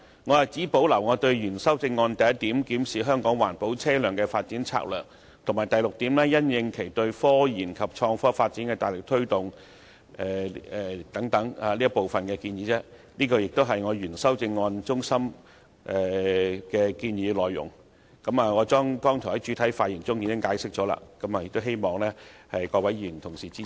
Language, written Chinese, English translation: Cantonese, 我只保留我原修正案的第一點，檢視香港環保車輛的發展策略，以及第六點，因應其對科研及創科發展的大力推動等部分建議，這亦是我原修正案的中心建議內容，我剛才在主體發言時已經解釋過，希望各位議員能夠支持。, I only retain part of the suggestions in my original amendment as in point 1 examine the development strategy for environment - friendly vehicles in Hong Kong and point 6 corresponding to its vigorous promotion of the development of scientific research and innovation and technology . The above are the core suggestions in my original amendment which I explained already in my main speech earlier . I hope that Members can support my revised amendment